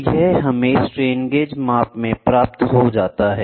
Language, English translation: Hindi, So, this gets into the strain gauge measurements